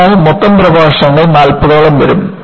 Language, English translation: Malayalam, So, total lectures would be around forty